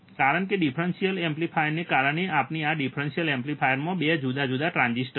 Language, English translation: Gujarati, Because the differential amplifier we have a 2 different transistors in the differential amplifier